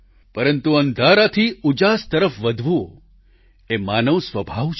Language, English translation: Gujarati, But moving from darkness toward light is a human trait